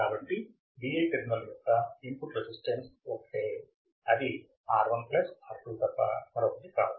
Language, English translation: Telugu, therefore, input resistance to Vi terminal one is nothing but R1 plus R2